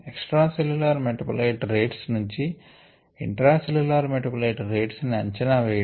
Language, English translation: Telugu, estimation of intracellular metabolite flux from extracellular metabolite rates